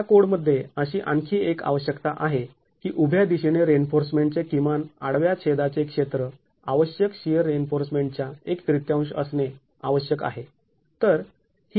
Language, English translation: Marathi, There is also another requirement that this code puts in that the minimum cross sectional area of reinforcement in the vertical direction has to be one third of the required shear reinforcement